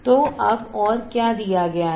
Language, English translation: Hindi, So, now further what is given